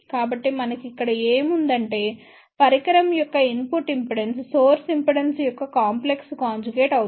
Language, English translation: Telugu, So, what we have here that input impedance of the device should be complex conjugate of the source reflection coefficient